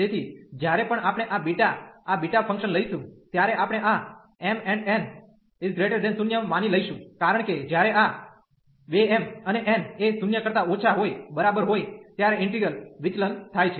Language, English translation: Gujarati, So, whenever we will be taking these beta this beta function, we will assume this m and n greater than 0, because the integral diverges when these 2 m and n are less than equal to 0